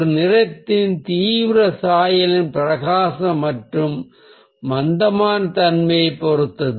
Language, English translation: Tamil, intensity of a colour depends on the brightness and dullness of the hue, how bright or dull the colour is